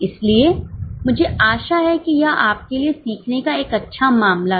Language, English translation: Hindi, So, I hope it was a good learning case for you